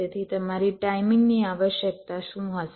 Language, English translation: Gujarati, so what will be the your timing requirement